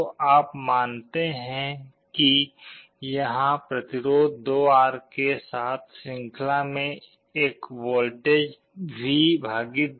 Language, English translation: Hindi, So, you assume that there is a voltage V / 2 with a resistance 2R in series